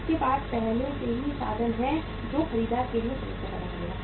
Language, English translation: Hindi, It has the already means created the problem for the buyer also